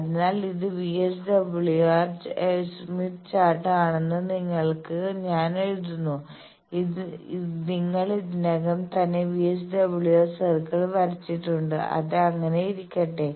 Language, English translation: Malayalam, So, I am writing for you do it that this is the Smith Chart, you have located already you have drawn the VSWR circle let that be let